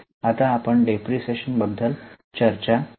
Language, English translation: Marathi, Now we will discuss about depreciation